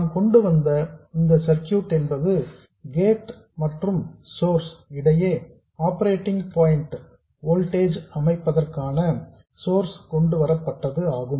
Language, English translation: Tamil, The circuit we came up with was the signal source here in series width the source to set up the operating point voltage between gate and source